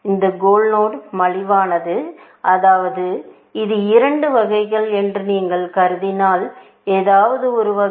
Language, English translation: Tamil, This goal node is cheaper, I mean, if you just assume that this is kind of two scale, in some sense